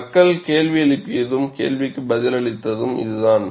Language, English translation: Tamil, This is the way people raised the question and answered the question also